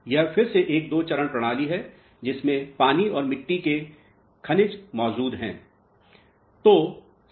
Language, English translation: Hindi, This again is a two phase system with water and soil minerals present in it